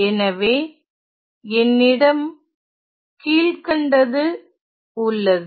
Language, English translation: Tamil, So, what I have is the following